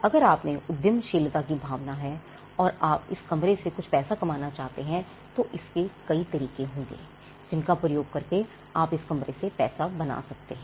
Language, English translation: Hindi, Now if there is an entrepreneurial spirit in you and you want to make some money with this room, there are multiple ways in which you can use this room to make money